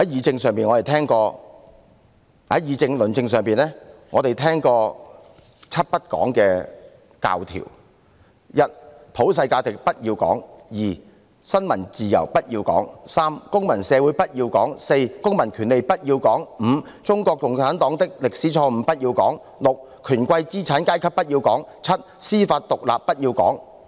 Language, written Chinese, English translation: Cantonese, 在議政論政上，我們聽過"七不講"的教條：一，普世價值不要講；二，新聞自由不要講；三，公民社會不要講；四，公民權利不要講；五，中國共產黨的歷史錯誤不要講；六，權貴資產階級不要講；七，司法獨立不要講。, On public policy discussion and debate we have heard the doctrine of seven things one cannot talk about one do not talk about universal values; two do not talk about the freedom of the press; three do not talk about civil society; four do not talk about civil rights; five do not talk about the historical errors of the Communist Party of China; six do not talk about crony capitalism and seven do not talk about judicial independence